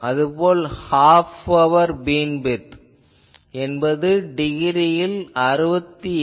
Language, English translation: Tamil, Similarly, half power beam width in degree it will be 68